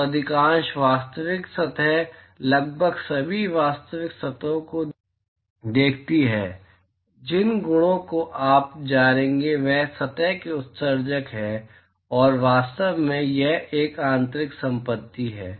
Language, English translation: Hindi, So, most of the real surfaces look at almost all the real surfaces the properties that you will know is the emissivity of the surface and in fact, it is an intrinsic property